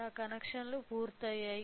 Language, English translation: Telugu, So, my connections are done